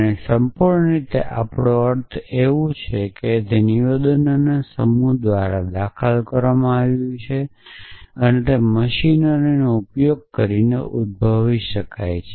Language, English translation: Gujarati, And by complete we mean anything which is entailed by a set of statements can be derived using that machinery that we have building essentially